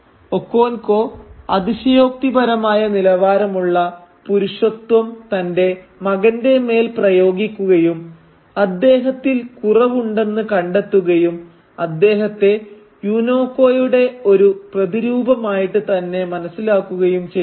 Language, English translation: Malayalam, Again Okonkwo applies that exaggerated standard of masculinity on to his son and finds him lacking, finds him almost an echo of Unoka